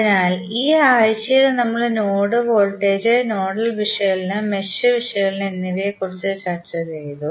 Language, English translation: Malayalam, So, in this particular week we discussed about node voltage, nodal analysis and mesh analysis